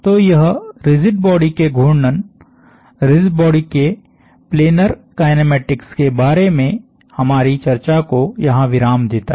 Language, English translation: Hindi, So, this concludes our discussion of rigid body rotation, planar kinematics of rigid bodies